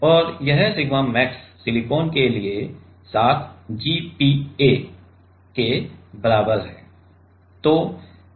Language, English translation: Hindi, And this sigma max is equal to 7 GPa for silicon the 7 giga Pascal